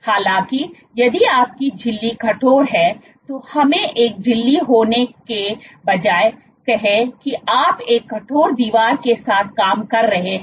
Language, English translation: Hindi, However, if your membrane is stiff let us say instead of having a membrane you are operating with a rigid wall